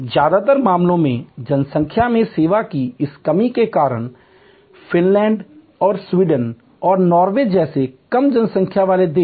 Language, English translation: Hindi, In most cases, because of this lack of service personal in a population, low population countries like Finland and Sweden and Norway